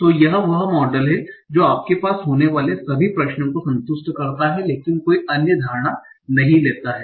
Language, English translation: Hindi, So that is take the model that satisfies all the concerns that you are having but does not take any other assumptions